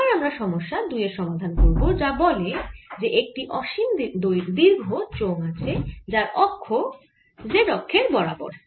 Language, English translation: Bengali, next we solve problem two, which says a solid, infinitely long cylinder has axis along the z axis